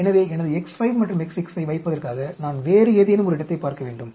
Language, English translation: Tamil, So, I need to look at some other place, where to put my X 5 and X 6